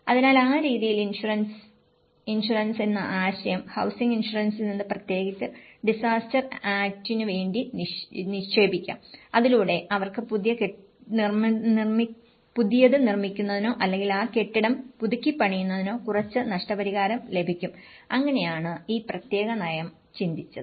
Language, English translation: Malayalam, So, in that way the insurance; idea of insurance so, one can invest from the housing insurance especially, for the disaster act and so that they can receive some compensation to build a new one or to retrofit that building, so that is how this particular policy have thought about